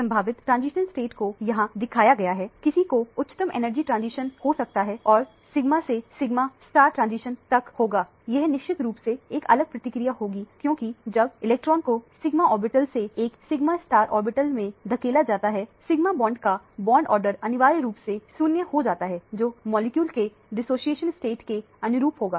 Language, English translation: Hindi, The possible transitions states are shown here, one can have the highest energy transition which will be from the sigma till sigma star transition this will be of course, a dissociated process because when the electron is pushed from the sigma orbital to a sigma star orbital, the bond order of the sigma bond essentially becomes 0; that would correspond to a dissociation state of the molecule